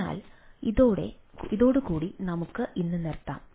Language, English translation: Malayalam, so, ah, with this we will conclude today